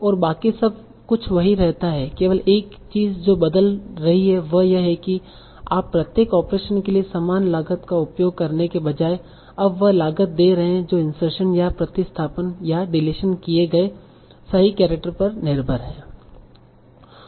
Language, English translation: Hindi, The only thing that changed is that instead of using equivalent cost for each operation, you are now giving cost that are dependent on the actual characters that are inserted or substituted or deleted